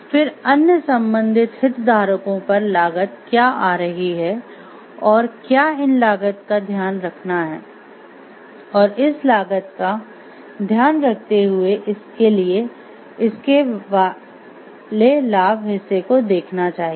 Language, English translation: Hindi, Then what are the cost component coming on the other related stakeholders and whether to like how to take care of these costs and after taking care of the cost how then we go for the benefit part of it